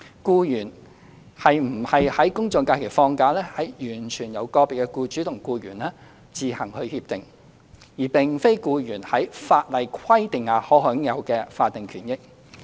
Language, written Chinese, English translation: Cantonese, 僱員是否在公眾假期放假，完全由個別僱主與僱員自行協定，而並非僱員在法例規定下可享有的法定權益。, Whether an employee takes leave on general public holidays should be decided by agreement between individual employers and employees and general holidays are not employees statutory rights and interests under the law